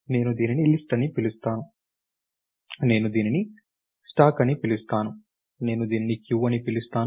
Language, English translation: Telugu, I call this a list, I call this a stack, I call this a queue